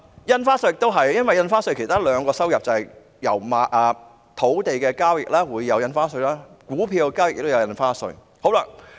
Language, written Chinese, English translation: Cantonese, 印花稅亦是一樣，因為印花稅收入有兩個來源，土地交易會產生印花稅，股票交易也會產生印花稅。, The same applies to stamp duty which comes from two sources . Both land transactions and stock trading are subject to stamp duty